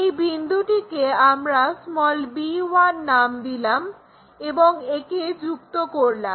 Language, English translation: Bengali, Call this point our b1 and join this one